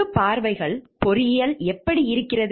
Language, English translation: Tamil, How the public views engineering